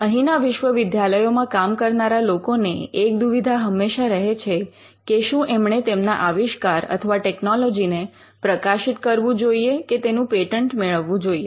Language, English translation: Gujarati, One of the concerns that people who work in the university have is with regard to whether they should publish the invention or the technology that they have developed or whether they should go for a patent